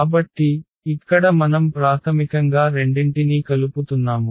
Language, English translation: Telugu, So, here we are combining basically the two